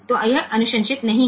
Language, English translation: Hindi, So, this is not recommended